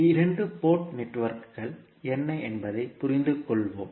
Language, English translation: Tamil, So, let us understand what two port network